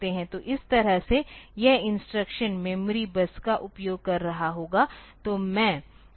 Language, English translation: Hindi, So, that way this instruction will be using the memory bus